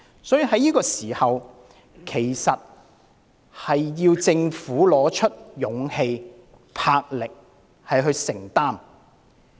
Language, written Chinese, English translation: Cantonese, 所以，政府要在此時拿出勇氣和魄力，作出承擔。, The Government should therefore pluck up its courage by showing its commitment